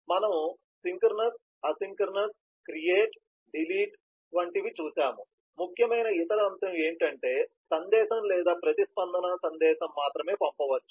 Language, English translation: Telugu, so we have seen synchronous, asynchronous, create, delete, the only other message that is important is a reply or response message, which may be sent